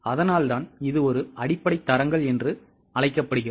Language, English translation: Tamil, That is why it is called as a basic standards